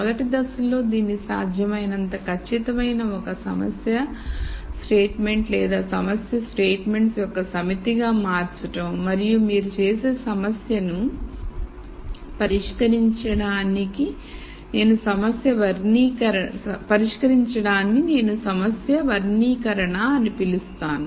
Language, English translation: Telugu, Step one is to convert this into one problem statement or set of problem statements as precise as possible and then to solve that problem you do what I would call as problem characterization